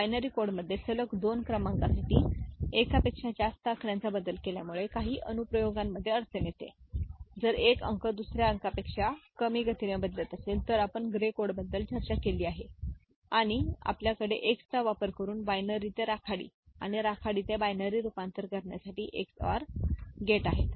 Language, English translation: Marathi, The change of more than one digit for two consecutive numbers in binary code will give problem in certain applications, if one digit change is slower than the other for which, we discussed gray code and we have binary to gray and gray to binary conversion using Ex OR gates